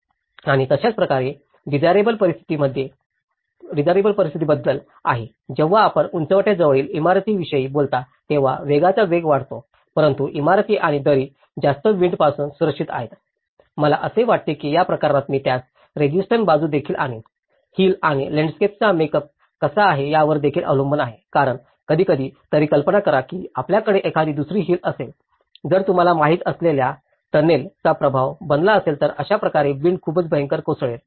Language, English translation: Marathi, And similarly, there is about the desirable conditions when you talk about building near a ridge attracts high wind velocity but buildings and valley is protected from a high wind, I think, in this case, I would also bring a counter aspect of it, it is also depends on where how the make up of the hill and the landscape is all about because even in sometimes, imagine if you have an another hill that becomes a tunnel effect you know, so in that way the wind will get channelled much fierceful